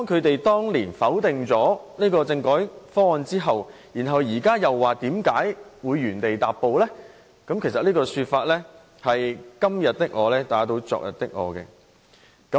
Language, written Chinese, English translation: Cantonese, 當年是他們否決政改方案的，現在卻問為甚麼原地踏步，這不是"今天的我打倒昨天的我"嗎？, They were the very people who voted down the constitutional reform proposal . But then they now question why there has been no progress . Arent they contracting their own stance back then?